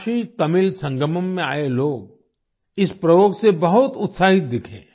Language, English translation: Hindi, People who came to the KashiTamil Sangamam seemed very excited about this experiment